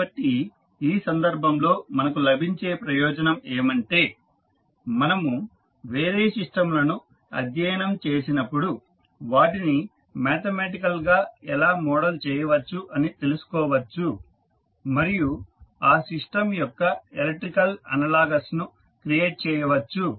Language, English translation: Telugu, So in this case, the advantage which we will get that when we study the other systems we will come to know that how they can be modeled mathematically and we can create the electrical analogous of that system so that we can analyze the system without any physical building of that particular model